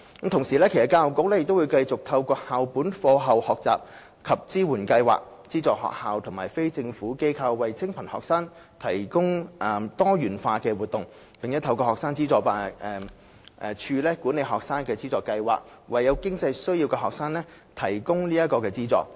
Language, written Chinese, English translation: Cantonese, 同時，教育局將繼續透過校本課後學習及支援計劃，資助學校及非政府機構為清貧學生提供多元化的活動，並透過學生資助處管理的學生資助計劃，為有經濟需要的學生提供資助。, At the same time the Education Bureau will continue to offer subsidies to schools and NGOs for providing a diversified range of activities for poor students through the School - based After - school Learning and Support Programme . It will also provide financial assistance to students with financial needs through the students financial assistance schemes under the Student Finance Office